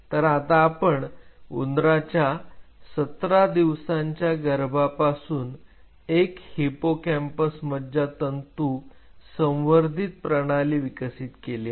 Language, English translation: Marathi, So, we developed a culture system, using fetal 17 day rat and this is our hippocampal neuron culture